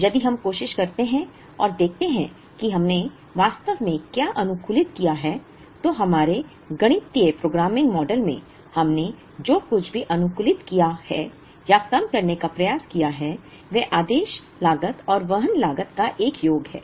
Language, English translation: Hindi, If we try and see what we actually optimized, in our mathematical programming model, what we optimized or try to minimize is a sum of the order cost and the carrying cost